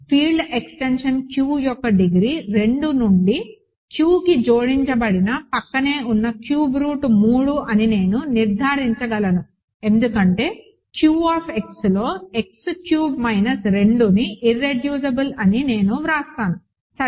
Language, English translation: Telugu, I can conclude that the degree of the field extension Q added adjoined cubed root of 2 to Q is 3 because, I will write it like this X cube minus 2 is irreducible in Q X, ok